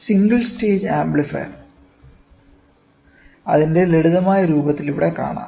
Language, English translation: Malayalam, The single stage amplifier in its simplest form can be seen in the figure here